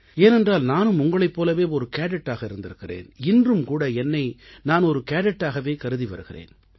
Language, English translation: Tamil, More so, since I too have been a cadet once; I consider myself to be a cadet even, today